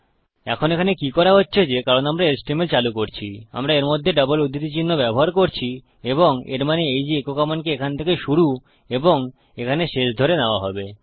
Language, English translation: Bengali, Now whats really happening here is that because we are embedding the html, we are using double quotes in between and this means that the echo command would be read as starting here and ending here